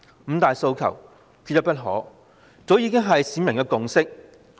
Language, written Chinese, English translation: Cantonese, "五大訴求，缺一不可"早已是市民的共識。, Five demands not one less has long been the consensus of the people